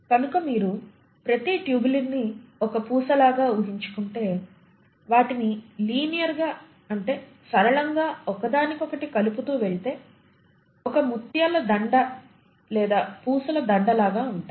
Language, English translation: Telugu, So I want you to imagine each tubulin to be a bead and if you connect them linearly to each other it is like a string of pearls or a string of beads